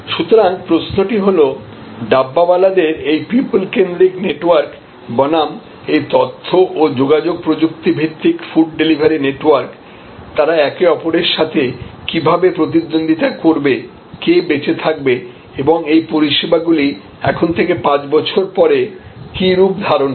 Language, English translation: Bengali, So, the question is, this largely human centric networks of the Dabbawalas versus this information and communication technology based food delivery networks, how they will compete with each other, who will survive and what shape will this services take 5 years from now